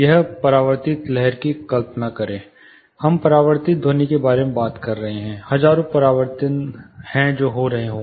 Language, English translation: Hindi, Imagine one reflected wave we are talking about reflections, there are thousands of reflections which might be happening